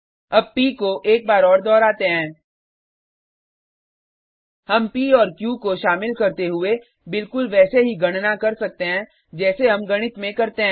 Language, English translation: Hindi, Let us also recall P once more: We can carry out calculations involving P and Q, just as we do in mathematics